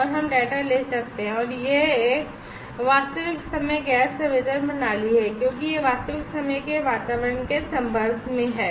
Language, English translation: Hindi, And we can take data and this is a real times gas sensing system because it is exposed to real time environment